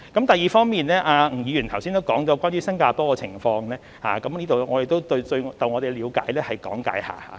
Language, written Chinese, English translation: Cantonese, 第二方面，吳議員剛才也提到新加坡的情況，我在這裏亦就我們的理解講解一下。, Secondly Mr NG mentioned the situation in Singapore just now . I will say a few words here based on our understanding